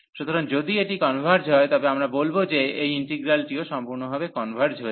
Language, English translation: Bengali, So, if this converges, then we call that this integral converges absolutely